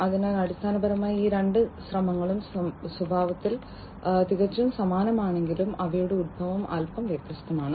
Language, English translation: Malayalam, So, basically these two efforts although are quite similar in nature their origin is bit different